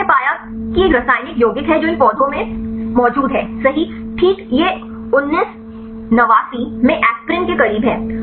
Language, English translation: Hindi, So, they found that that there is a chemical compound that is present right in these plants, right this is close to the aspirin in 1989